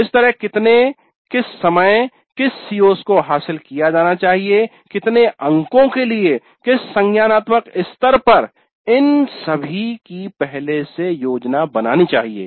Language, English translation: Hindi, So, how many, at what times, what are the COs to be covered, for how many marks, at what cognitive levels, all this must be planned upfront